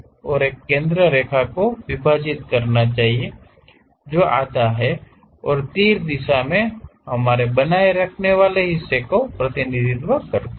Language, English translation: Hindi, And, there should be a center line dividing that halves and arrow direction represents our retaining portion